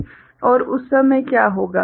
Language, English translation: Hindi, And at that time what will happen